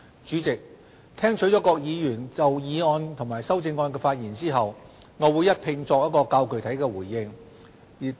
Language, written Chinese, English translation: Cantonese, 主席，聽取各議員就議案及修正案的發言後，我會一併作較具體的回應。, President I will give a consolidated and specific response after listening to the speeches of Members on the motion and amendments